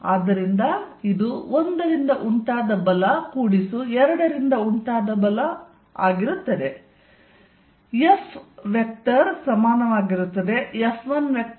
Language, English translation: Kannada, So, this is going to be force due to 1 plus force due to 2